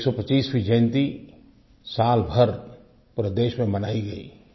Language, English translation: Hindi, His 125th birth anniversary was celebrated all over the country